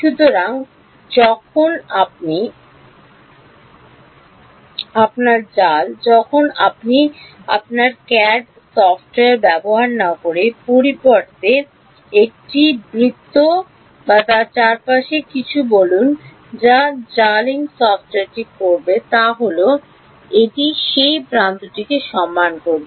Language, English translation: Bengali, So, when you mesh your when you use your CAD software instead of define a let us say circle or something around it and what meshing software will do is it will respect that edge